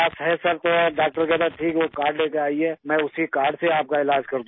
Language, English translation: Urdu, Sir, the doctor then says, okay bring that card and I will treat you with the same card